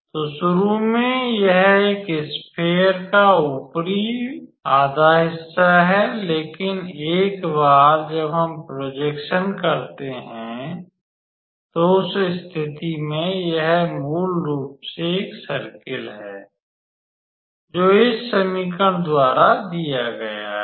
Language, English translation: Hindi, So, initially it is an upper half of this sphere, but once we do the projection then in that case it is basically a circle which is given by this equation